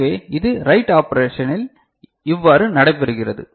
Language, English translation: Tamil, Now, how the write operation takes place